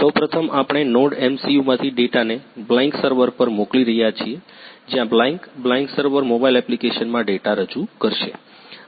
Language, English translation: Gujarati, First one is we are sending the data from the NodeMCU to the Blynk server where the Blynk, Blynk server will represent the data in a mobile application